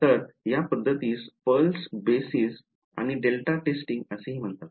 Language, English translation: Marathi, So, this method that we did it is also called pulse basis and delta testing